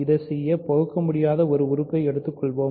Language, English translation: Tamil, So, in order to do this, let us take an irreducible element